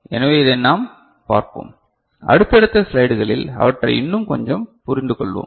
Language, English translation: Tamil, So, we shall look into them this, and understand them a bit more in the subsequent slides ok